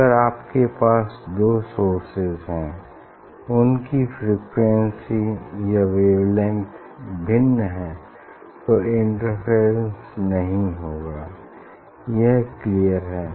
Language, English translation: Hindi, if you have two source; if you have two source their frequency or wavelengths are different, then there will not be interference that is clear